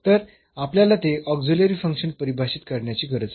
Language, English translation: Marathi, So, we need to define such an auxiliary function